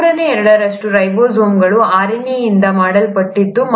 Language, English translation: Kannada, Two third of ribosomes is made up of RNA